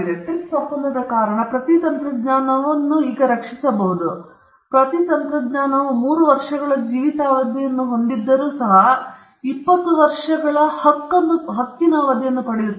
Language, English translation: Kannada, Every technology is now protectable by virtue of the TRIPS agreement; every technology, even if the technology has a life span of 3 years, it still gets a 20 year term